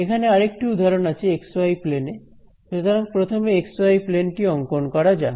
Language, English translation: Bengali, Now here is another example this is in the x y plane so, let us draw the x y plane over here